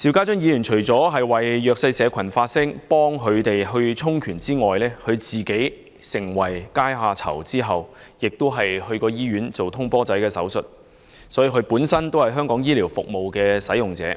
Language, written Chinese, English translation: Cantonese, 邵議員為弱勢社群發聲，協助他們充權；在他成為階下囚後，曾入院進行"通波仔"手術，因此他本身也是香港醫療服務的使用者。, Mr SHIU used to speak up for the underprivileged and help empower them . After being imprisoned he had been taken to hospital to undergo percutaneous transluminal coronary angioplasty and so he himself is a user of local healthcare services